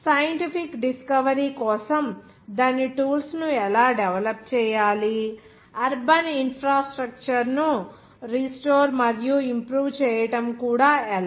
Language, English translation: Telugu, Even how to develop its tools for scientific discovery, even restoring and improving the urban infrastructure